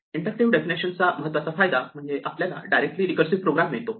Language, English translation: Marathi, The main benefit of an inductive definition is that it directly yields a recursive program